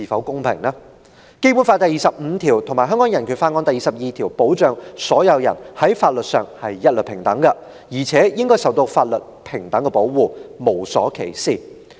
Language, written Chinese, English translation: Cantonese, 《基本法》第二十五條和《香港人權法案條例》第二十二條保障所有人在法律上一律平等，而且應受到法律平等保護，無所歧視。, It is enshrined in Article 25 of the Basic Law and section 22 of the Hong Kong Bill of Rights Ordinance that all persons are equal before the law and entitled without any discrimination to the equal protection of the law